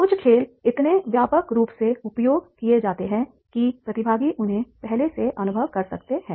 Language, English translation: Hindi, Some games are so widely used that there is a chance that the participants will have experienced them before